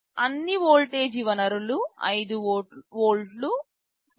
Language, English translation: Telugu, There are some voltage sources available 5 volts, 3